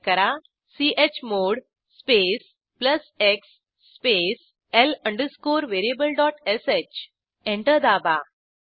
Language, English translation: Marathi, Lets make file executable By Typing chmod space plus x space l variable.sh Press Enter